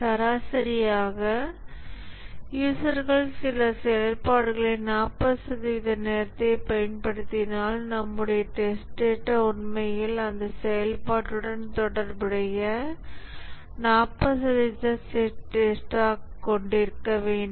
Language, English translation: Tamil, If the users on the average invoke some functionality 40% of the time, then our test data should actually have 40% test data corresponding to that functionality